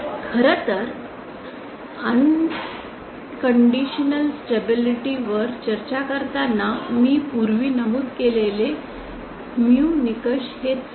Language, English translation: Marathi, In fact the mu criteria that I have mentioned earlier while discussing unconditional stability is that